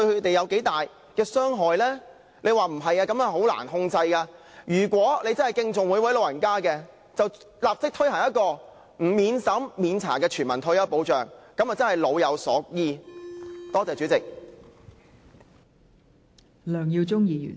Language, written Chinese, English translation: Cantonese, 政府說如果不這樣做，情況會很難控制，但如果政府真的敬重每一位長者，便應立即推行免審查的全民退休保障，這樣便能真正做到老有所依......, The Government said that if no means test is required the situation would hardly be brought under control but if the Government truly respects each and every elderly person it should immediately introduce a non - means - tested universal retirement protection scheme